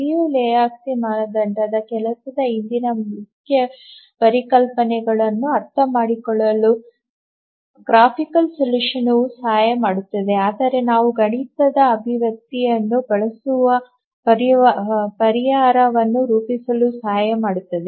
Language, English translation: Kannada, The graphical solution helps us understand how the Liu Lejutski's criterion works, the main concepts behind the Liu Lehuski's criterion, but really work out the solution we'll use the mathematical expression